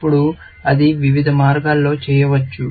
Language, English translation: Telugu, Now, that can be done in a various number of ways